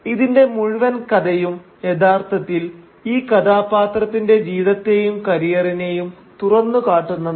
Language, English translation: Malayalam, And the whole plot is actually an unfolding of the life and of the career of this central character